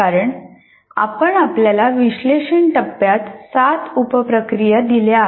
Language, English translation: Marathi, Because we have given you 4 plus 3, 7 sub processes in analysis phase